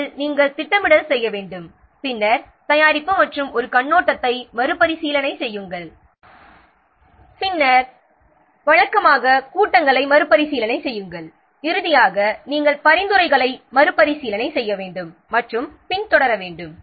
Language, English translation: Tamil, First you have to do the planning, then review preparation and an overview, then usual review meetings and finally you have to rework on the suggestions and follow up